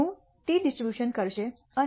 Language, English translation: Gujarati, I would T distribution and